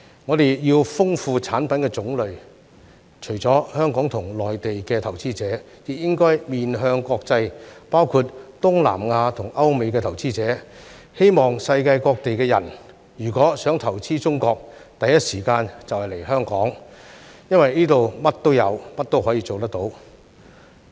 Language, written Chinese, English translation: Cantonese, 我們要豐富產品的種類，除了香港和內地投資者，亦應該面向國際，包括東南亞和歐美投資者，希望世界各地人如果想投資中國，第一時間就來香港，因為這裏甚麼也有，甚麼也可以做得到。, We should enrich the variety of products to engage the world including investors from Southeast Asia Europe and America in addition to Hong Kong and Mainland investors . I hope that if people around the world want to invest in China they will come to Hong Kong in the first place as everything is available and anything can be achieved here